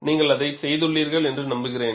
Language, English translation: Tamil, I hope you have done that